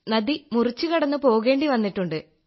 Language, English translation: Malayalam, We've gone crossing the river Sir